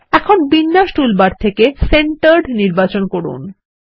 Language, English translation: Bengali, Now, from the Align toolbar, let us select Centered